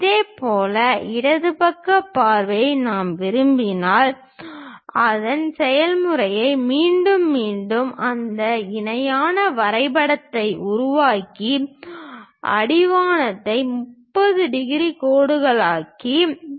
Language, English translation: Tamil, Similarly, if we want left side view we repeat the same process construct that parallelogram, making horizon 30 degrees line